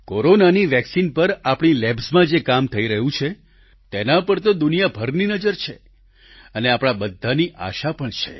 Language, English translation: Gujarati, Work being done in our labs on Corona vaccine is being keenly observed by the world and we are hopeful too